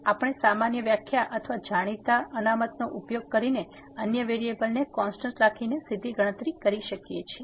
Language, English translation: Gujarati, So, we can directly compute using the usual definition or usual a known reserves of the derivatives keeping other variable constant ok